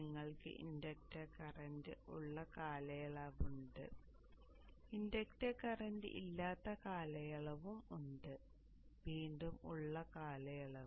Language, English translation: Malayalam, You have a period where the inductor current is present, period where the inductor current is zero, not present